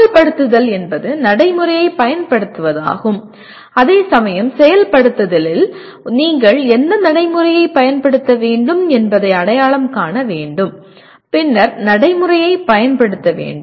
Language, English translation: Tamil, Implement is use the procedure whereas in execute you have to identify what procedure to be applied and then apply the procedure